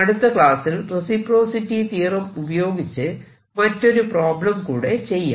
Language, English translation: Malayalam, in the next lecture i'll solve one more example using reciprocity theorem